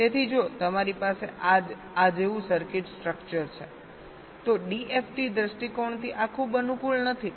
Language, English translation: Gujarati, so if you have a circuit structure like this, this is not very convenient from d f t point of view